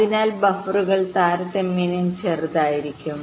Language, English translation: Malayalam, ok, so the buffers will be relatively smaller in size